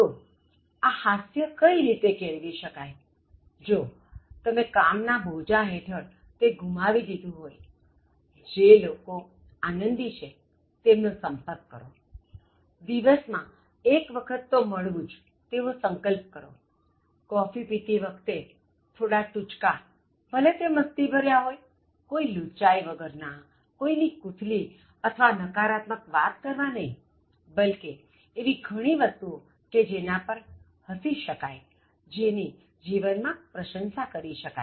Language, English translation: Gujarati, So how can you develop humour, in case you have lost this sense because of work pressure and all that so try to associate with people who are humourous, try to meet them once in a while, if possible once in a day, during a coffee break so have some jokes and then let it be very beneficial kind of joke with no malignity involved in it, jokes not in terms of gossiping or passing negative remarks on somebody, but then there are lot of things that we can laugh at, admiring life